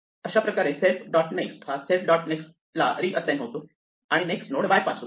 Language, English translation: Marathi, So, self dot next is reassigned to self dot next dot next bypass the next node